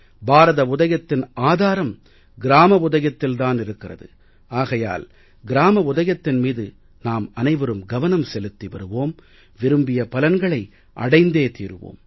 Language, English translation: Tamil, The foundation for the progress of India is the rise of its villages; so if we all keep laying stress on the progress of the villages, we shall continue to get the desired results